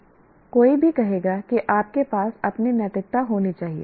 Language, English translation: Hindi, Anyone would say you must have your ethics